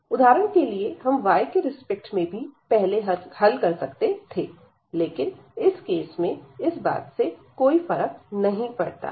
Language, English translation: Hindi, For example, we could do with respect to y first does not matter in this case